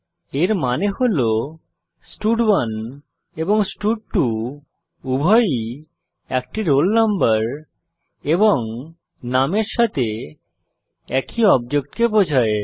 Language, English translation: Bengali, That means both stud1 and stud2 are referring to the same student with a roll number and name